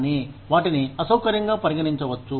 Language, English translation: Telugu, But, they can be considered as, uncomfortable